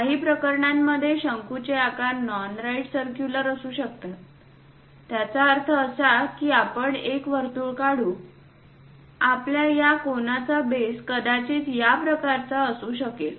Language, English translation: Marathi, In certain cases cones might be non right circular; that means let us draw a circle, your cone base might be in that way